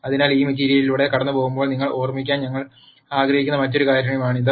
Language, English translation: Malayalam, So, that is another thing that I would like you to remember as we go through this material